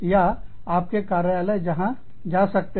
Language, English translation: Hindi, Or, where the office, can go